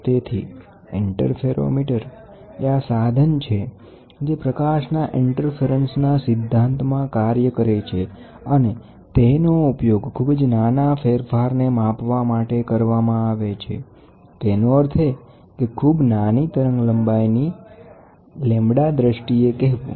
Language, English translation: Gujarati, So, interferometers are these instruments which work in the principle of interference of light, and they are used to measure very small variations; that means, to say very small variations in terms of lambda wavelengths